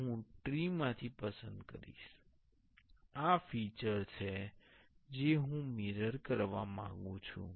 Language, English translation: Gujarati, Now, I will select from the tree this is the feature I want to mirror